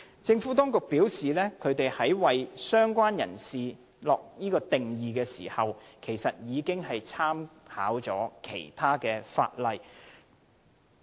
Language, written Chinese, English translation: Cantonese, 政府當局表示，在為"相關人士"下定義時，已經參考其他現行法例。, The Administration has advised that it has made reference to other existing legislation in formulating the definition of related person